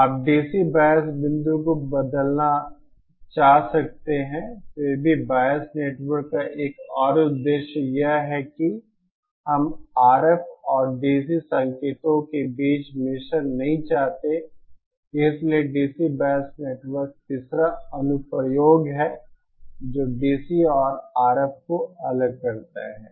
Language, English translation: Hindi, You might want to change the DC bias point then there is yet another purpose of the bias network, it is that we do not want mixing between RF and DC signals, so DC bias network the third application is separate DC and RF